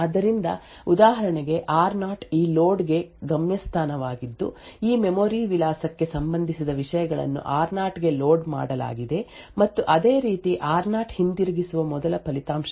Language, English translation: Kannada, So, for example r0 was the destination for this load that is the contents corresponding to this memory address was loaded into r0 and similarly r0 was the first result to be return back